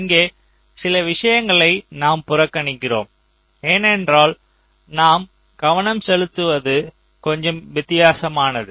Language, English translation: Tamil, ah, we are ignoring here, because our point of focus is a little different